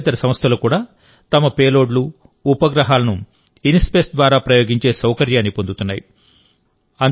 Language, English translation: Telugu, Nongovernment companies are also getting the facility to launch their payloads and satellites through INSPACe